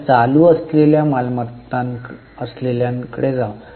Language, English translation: Marathi, Now, let us go to current ones